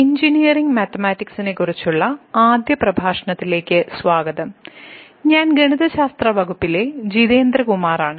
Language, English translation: Malayalam, Welcome to the first lecture on Engineering Mathematics, I am Jitendra Kumar from the Department of Mathematics